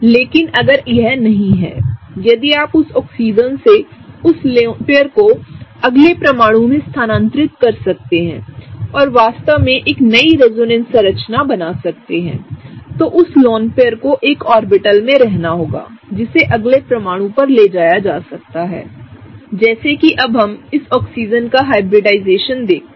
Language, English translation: Hindi, But if it is not; if you can move that lone pair from that Oxygen to the next atom and really create a new resonance structure, then that lone pair has to be in an orbital that can be moved to the next atom right, such that let us now look at the hybridization of this Oxygen